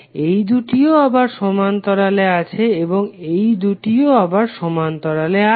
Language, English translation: Bengali, These 2 are again in parallel and these 2 are again in parallel